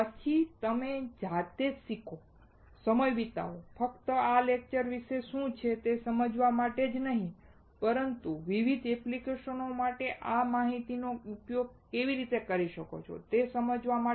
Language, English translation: Gujarati, Then you learn by yourself, spend time, not only about understanding what these lectures are all about, but also to understand how well you can utilize this knowledge for different applications